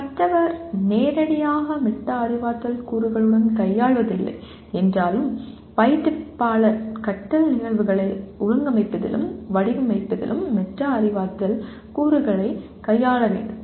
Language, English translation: Tamil, While the learner may not be directly dealing with Metacognitive elements, the instructor has to deal with Metacognitive elements in organizing and designing learning events